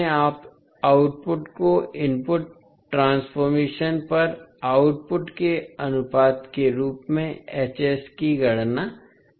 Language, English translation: Hindi, Now, in both methods you calculate H s as the ratio of output at output to input transform